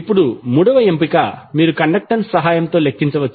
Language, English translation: Telugu, Now third option is that you can calculate with the help of conductance